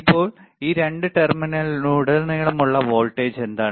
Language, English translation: Malayalam, So now, what is the voltage across these two terminal